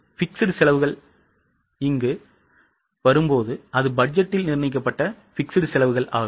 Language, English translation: Tamil, But when it comes to fixed costs, it is a budgeted fixed cost